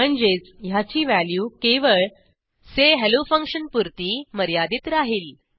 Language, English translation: Marathi, Which means, its value will be valid within the function say hello only